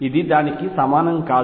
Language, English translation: Telugu, This is not equal to that